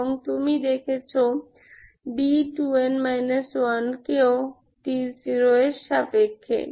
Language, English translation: Bengali, What you get is d 2 n minus 2 equal to zero